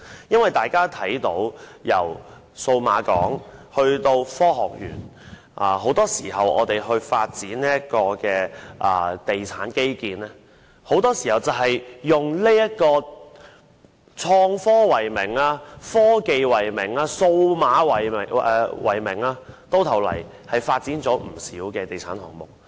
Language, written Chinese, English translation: Cantonese, 因為大家看到，由數碼港以至香港科學園，很多時候，在發展地產基建時會以創科、科技及數碼為名發展不少地產項目。, Because as we can see from the Cyberport to the Hong Kong Science Park in the course of infrastructural development the developers often develop quite a number of real estate projects in the name of innovation and technology science and digital technologies